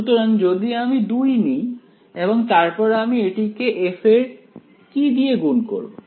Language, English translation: Bengali, So, if I take 2 multiplied by f of what should I multiply it by